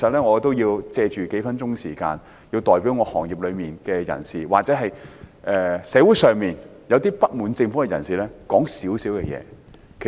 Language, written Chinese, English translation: Cantonese, 我要在數分鐘時間，代表漁農業界人士或社會上一些不滿政府的人士提出一些意見。, I will spend several minutes to express the views of members of the agriculture and fisheries industries and members of the pubic who are discontented with the Government